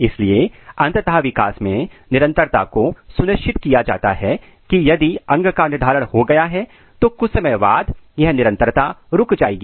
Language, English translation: Hindi, So, continuity is finally, ensured in the development, if organ is it depends on the organ, if organ is determinate in nature then up to after a certain time point it will stop